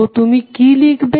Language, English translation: Bengali, So, what you will write